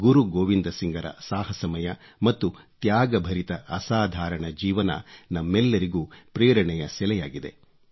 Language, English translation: Kannada, The illustrious life of Guru Gobind Singh ji, full of instances of courage & sacrifice is a source of inspiration to all of us